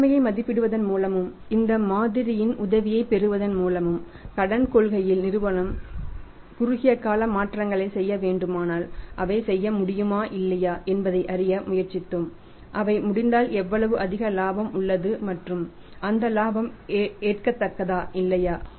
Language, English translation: Tamil, By evaluating the situation and be taking the help of this model we have tried to learn that if short time changes are to be done by the company in the credit policy whether they can be done or not and if they are done then how much increamental profit is there and whether that profit is acceptable or not